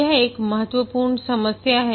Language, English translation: Hindi, This is an important problem